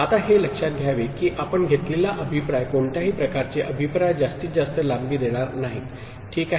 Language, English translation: Marathi, Now, it is to be noted that the feedback that you take any kind of feedback will not give maximal length, ok